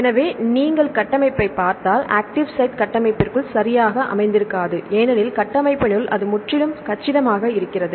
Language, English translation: Tamil, So, if you look into the structure the active sites are not located inside the structure right because inside the structure it is completely compact, right